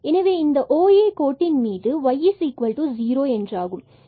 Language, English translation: Tamil, So, along this OA line here, so y is 0